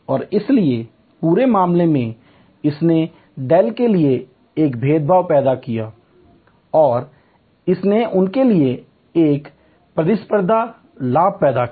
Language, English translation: Hindi, And therefore, on the whole it created a differentiation for Dell and it created a competitive advantage for them